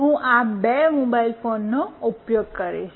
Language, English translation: Gujarati, I will be using these two mobile phones